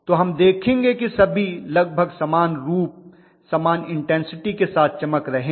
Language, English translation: Hindi, So we will have all of them glowing almost similarly with similar intensities